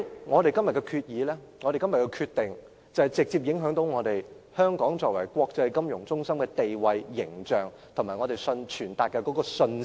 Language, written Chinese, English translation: Cantonese, 我們今天的決定將直接影響香港作為國際金融中心的地位、形象，以及我們傳達的信息。, The decision we make today will have a direct impact on Hong Kongs status and image as an international financial centre and the message we are conveying